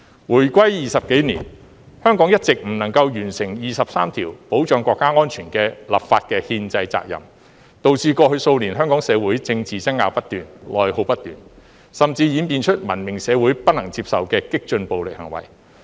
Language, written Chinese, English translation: Cantonese, 回歸20多年，香港一直未能完成第二十三條保障國家安全的立法的憲制責任，導致過去數年香港社會政治爭拗不斷，內耗不斷，甚至演變出文明社會不能接受的激進暴力行為。, For more than 20 years after our return to the Motherland Hong Kong has failed to fulfil its constitutional responsibility stipulated in Article 23 of the Basic Law to enact laws to safeguard national security . Such failure has led to continued political disputes and internal conflicts in Hong Kong in the past years and even resulted in the radical violence that is unacceptable in a civilized society